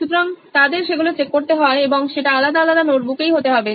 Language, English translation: Bengali, So they’ll have to check that as well and that has to be in different notebook as well